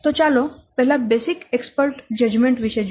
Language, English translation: Gujarati, Let's first see about the basic expert judgment